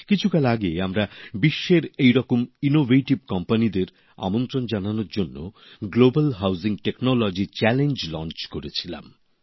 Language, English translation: Bengali, Some time ago we had launched a Global Housing Technology Challenge to invite such innovative companies from all over the world